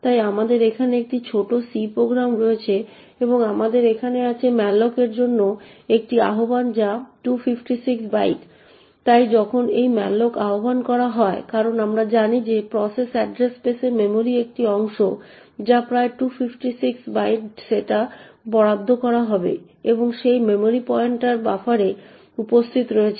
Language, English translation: Bengali, So we have a small C program here and what we have here is an invocation to malloc which request 256 bytes, so when this malloc gets invoked as we know that in the process address space a chunk of memory of the size which is approximately 256 bytes would get allocated and the pointer to that memory is present in buffer